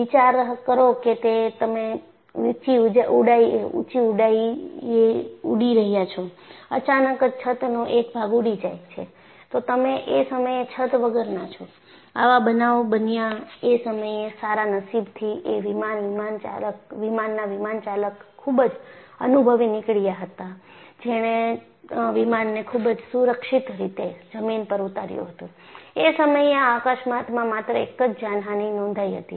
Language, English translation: Gujarati, Imagine that you are flying at a high altitude; suddenly a portion of the roof flies off; you are without a roof; this happened, and fortunately because the pilot was experienced, he landed the aircraft safely, and only one casualty was reported